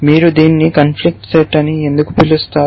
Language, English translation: Telugu, Why do you call it conflict set